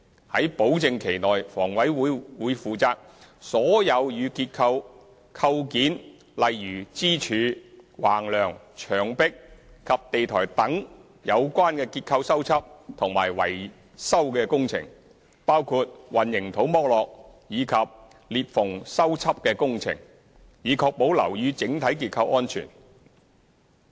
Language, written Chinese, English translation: Cantonese, 於保證期內，房委會會負責所有與結構構件如支柱、橫樑、牆壁及地台等有關的結構修葺及維修工程，包括混凝土剝落及裂縫修葺的工程，以確保樓宇整體結構安全。, During the guarantee period HA is responsible for all structural repair and maintenance works relating to structural components such as columns beams walls and floor slabs including repair works for spalling and cracking in order to ensure the overall structural safety of the buildings